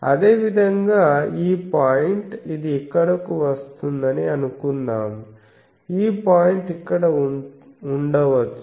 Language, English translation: Telugu, Similarly, this point is put here, but the value is actually here